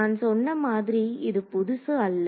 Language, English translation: Tamil, So, like I said this is nothing new